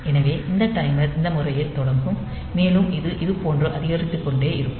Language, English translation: Tamil, So, this timer will start with this mode, with and this the upcounting will be like this